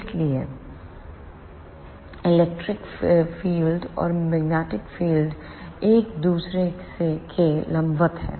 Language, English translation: Hindi, So, electric and magnetic fields are perpendicular to each other